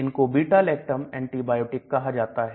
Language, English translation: Hindi, They are called beta lactam antibiotics